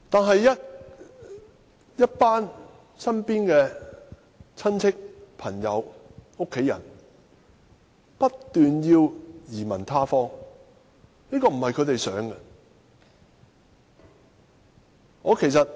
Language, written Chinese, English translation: Cantonese, 可是，身邊的親戚、朋友和家人不斷說要移民他方，而這並非他們所願。, Nevertheless relatives friends and family members around me kept talking about having to emigrate despite their great reluctance